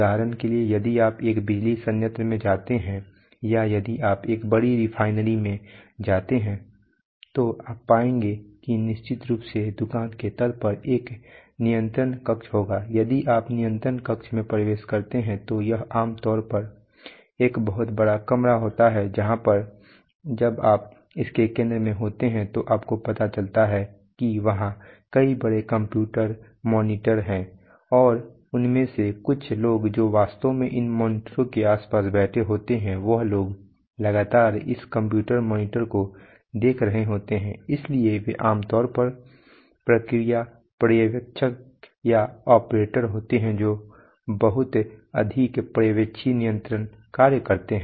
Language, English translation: Hindi, For example if you go to a, if you go to a power plant or if you go to a big refinery, you will find that in invariably on the, on the shop floor you will have, you will have, a you will have a control room if you enter the control room it is usually a very large room, where in the when in the center of it you will you are you are very likely to find that there are a number of large computer monitors and there are a group of people who are actually sitting around these monitors and constantly looking at these, so they are generally the process supervisors or the or the operators who perform a lot of supervisory control function